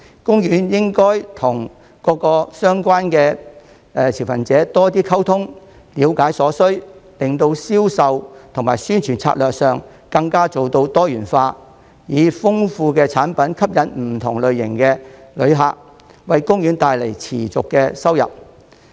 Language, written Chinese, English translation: Cantonese, 公園應與各相關持份者多溝通，了解所需，令銷售及宣傳策略上更能做到多元化，以豐富的產品吸引不同類型的旅客，為公園帶來持續收入。, OP should communicate more with all relevant stakeholders to understand their needs so as to achieve greater diversification in its sales and promotion strategies and enrich the choices of its products to attract different types of visitors thereby generating ongoing income for OP